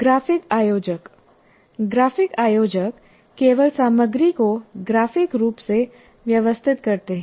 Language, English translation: Hindi, Graphic organizers merely organize the content graphically